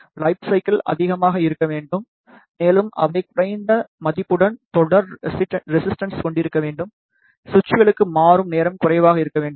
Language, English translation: Tamil, The lifecycle should be more and they should have series resistance with low value; the transition time should also be less for the switches